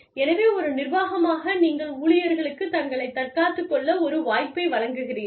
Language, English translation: Tamil, So, as the organization, you give the employees, a chance to defend themselves